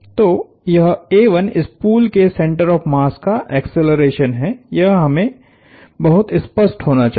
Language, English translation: Hindi, So, this is a 1 is the acceleration of the center of mass of the spool, let us be very clear